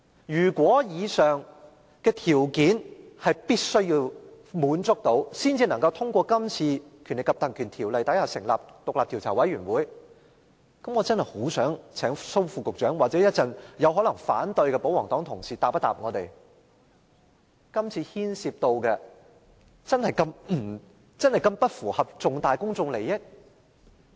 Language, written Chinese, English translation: Cantonese, 如果必須滿足以上條件，才能引用《條例》成立專責委員會，我真的很想請蘇副局長或稍後可能反對議案的保皇黨同事回答我們，這次牽涉的事宜真的不符合重大公眾利益嗎？, If the aforesaid condition must be fulfilled before the Ordinance can be invoked to set up a select committee may I ask Under Secretary Dr Raymond SO or royalist Members who may vote against the motion later whether the incident concerned is really not related to major public interests?